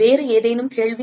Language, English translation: Tamil, Any other question